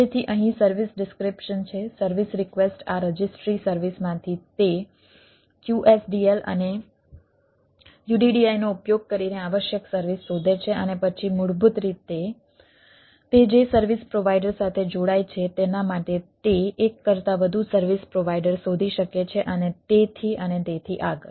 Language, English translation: Gujarati, the service request are: finds the this, its request, it a required service from this registry service using that wsdl and uddi and then basically bind with the service provider it goes for it can find more than one service provider and so and so forth